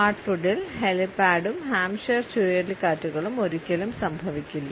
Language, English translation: Malayalam, In heart food helipad and Hampshire hurricanes hardly ever happen